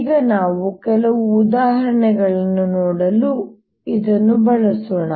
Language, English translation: Kannada, let us now use this to see some examples